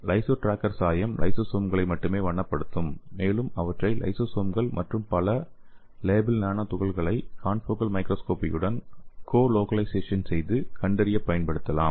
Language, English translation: Tamil, So this LysoTracker dye will stain only the lysosomes and they can be used to detect the colocalization of lysosome and the labeled nano particles with the confocal microscopy